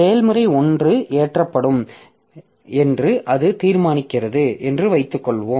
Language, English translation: Tamil, So, suppose it decides that the process 1 will be loaded